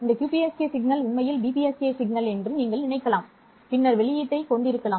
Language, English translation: Tamil, Because this is a QPSK signal, you can think of this QPSK signal as actually two DPSK signals and then have the output